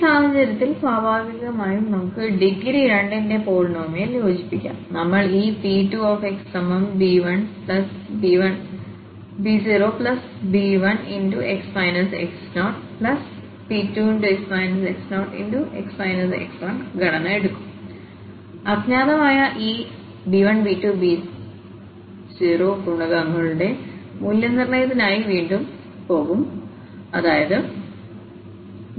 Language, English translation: Malayalam, So, in this case naturally we can fit a polynomial of degree 2 and again we will take this structure b naught b 1 x minus x naught and b 2 x minus x naught x minus x 1 and we will again go for the evaluation of these unknown these coefficients that is b naught b 1 and b 2